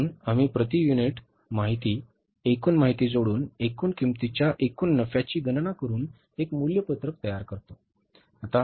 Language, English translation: Marathi, So we prepared a cost sheet adding the per unit information, total information, calculated the total cost, total profit